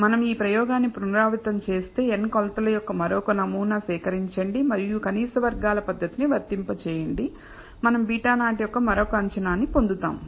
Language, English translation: Telugu, If we were to repeat this experiment, collect an other sample of n measurement and apply the method of least squares, we will get another estimate of beta naught